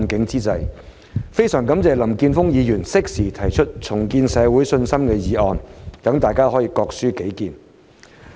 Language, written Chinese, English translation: Cantonese, 我非常感謝林健鋒議員適時提出"重建社會信心"議案，讓大家可以各抒己見。, I am very grateful to Mr Jeffrey LAM for proposing the motion on Rebuilding public confidence so that Members can express their own views